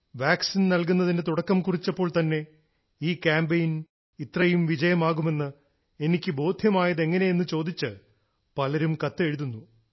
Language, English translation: Malayalam, Many people are asking in their letters to me how, with the commencement itself of the vaccine, I had developed the belief that this campaign would achieve such a huge success